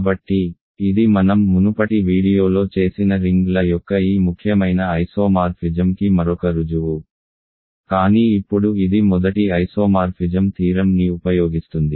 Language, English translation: Telugu, So, this is another proof of this important isomorphism of rings that I did in an earlier video ok, but now it uses the first isomorphism theorem